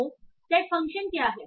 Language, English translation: Hindi, So what is set function